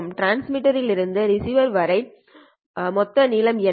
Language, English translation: Tamil, What is the total length from the transmitter to the receiver side here